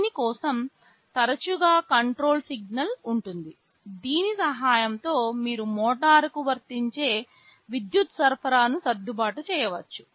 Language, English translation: Telugu, For this there is often a control signal with the help of which you can adjust the power supply you are applying to the motor